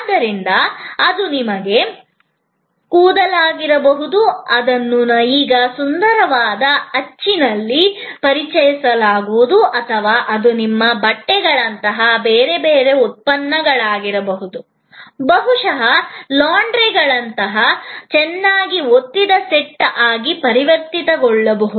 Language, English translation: Kannada, So, that could be your hair, which will be now addressed in a prettier mold or it could be different other products like your cloths maybe converted into clean nicely pressed set by the laundry and so on